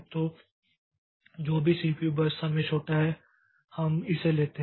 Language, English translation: Hindi, So, whichever CPU burst is the smallest, so we take it